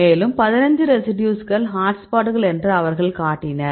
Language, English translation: Tamil, And they showed that 15 residues are hotspots